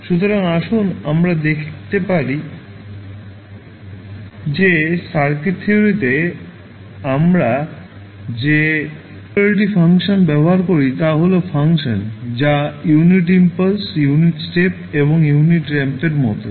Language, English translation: Bengali, So, let us see that the singularity functions which we use in the circuit theory are nothing but the functions which are like unit impulse, unit step and unit ramp